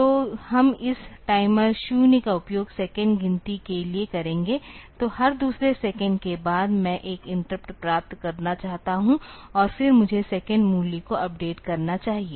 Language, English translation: Hindi, So, we will be using this timer 0 for counting seconds; so, after every second I want to get an interrupt and then I should be updating the second value